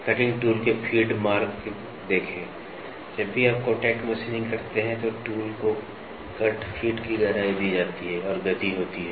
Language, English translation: Hindi, See the feed marks of the cutting tool, whenever you do a contact machining, the tool is given depth of cut, depth of cut, feed and there is a speed